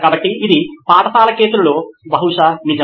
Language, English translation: Telugu, So this is probably true for a school case